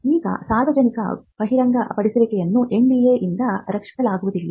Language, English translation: Kannada, Now, disclosures to the public cannot be protected by NDA